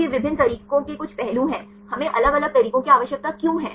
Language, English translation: Hindi, So, these are the some of the aspects of different methods, why do we need different methods